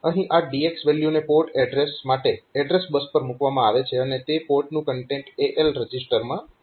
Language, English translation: Gujarati, So, port address this DX value will be put onto the address bus for port address, and this content of that particular port will come to the AL register